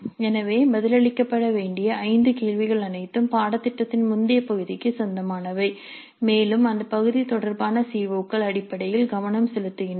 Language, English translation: Tamil, So the five questions to be answered will all belong to the earlier part of the syllabus and the COs related to that part are essentially focused upon